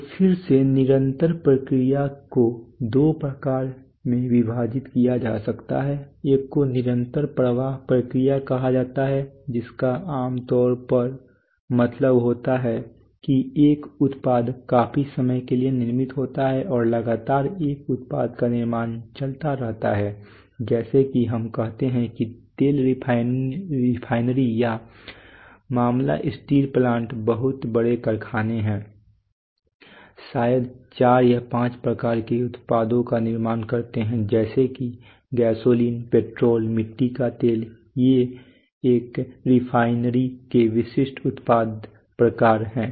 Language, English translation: Hindi, So again continuous processes could be divided into two kinds one are called continuous flow processes typically means that a product is manufactured for a considerable amount of time and continuously a the product manufacturing goes on like the case of let us say oil refineries or the case of steel plants very big factories, manufacture maybe four or five kinds of products may be let us say gasoline, petrol, kerosene these are typical product types of a refinery